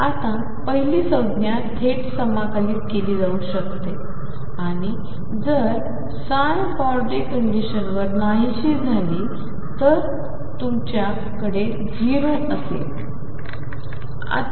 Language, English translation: Marathi, Now, the first term can be integrated directly and if psi vanish at infinity boundary condition gives you that this is going to be 0